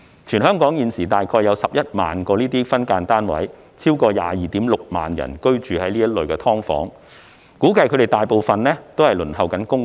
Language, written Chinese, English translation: Cantonese, 全港現時大約有11萬個分間單位，超過 226,000 人居於此類"劏房"，估計他們大部分正在輪候公屋。, At present there are some 110 000 SDUs in Hong Kong with over 226 000 persons living therein and I guess most of them are waiting for PRH